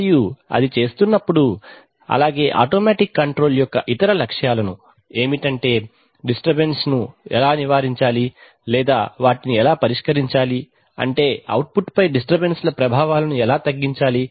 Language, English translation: Telugu, And while doing it and of course, the other objective of automatic control is how to get rid of the disturbances or rather how to tackle the disturbances, in the sense that how to reduce the effects of the disturbances on the output